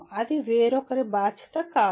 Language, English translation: Telugu, That it is not responsibility of somebody else